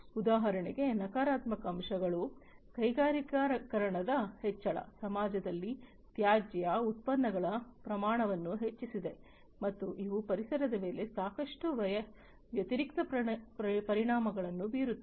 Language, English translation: Kannada, Negative aspects for example, the increase in industrialization, increased the amount of waste products in the society, and these basically have lot of adverse effects on the environment